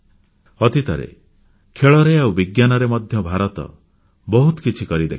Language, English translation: Odia, Recently, India has had many achievements in sports, as well as science